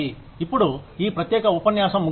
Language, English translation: Telugu, Now, that ends this particular lecture